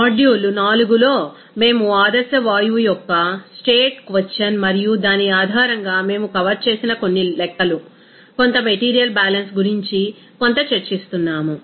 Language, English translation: Telugu, In module 4, we were discussing something about state question of ideal gas and based on that some calculations, some material balance we have covered